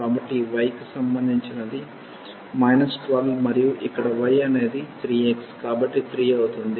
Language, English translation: Telugu, So, the corresponding to this y will be minus 12 and here the y will be 3 x so, 3